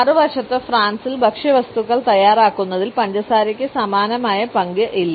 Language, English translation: Malayalam, On the other hand in France sugar does not have the similar role in the preparation of food items